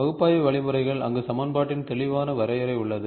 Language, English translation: Tamil, Analytical means, where there is a clear definition of equation available